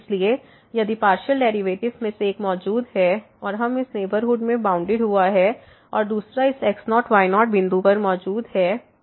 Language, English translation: Hindi, So, if one of the partial derivatives exist and is bounded in this neighborhood and the other one exist at this point